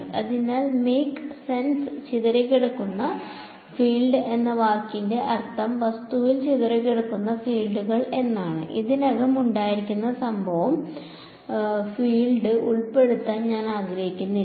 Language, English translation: Malayalam, So, the word make sense scattered field means the fields scatter by the object, I do not want to include the incident field that was already there